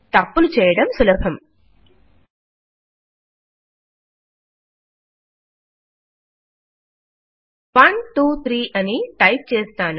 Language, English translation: Telugu, It is easy to make mistakes Let me type 123